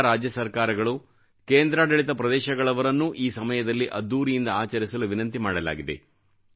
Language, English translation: Kannada, All states and Union Territories have been requested to celebrate the occasion in a grand manner